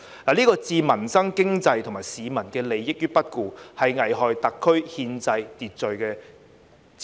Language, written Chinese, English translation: Cantonese, 這是置民生、經濟及市民利益於不顧，是危害特區憲制秩序之舉。, This was a move that disregarded peoples livelihood the economy and the interests of the public and that endangered the constitutional order of the SAR